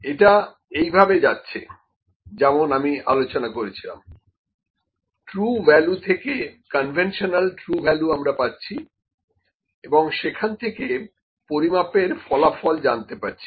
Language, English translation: Bengali, So, it goes like this as we discussed true value conventional true value is obtained the measurement results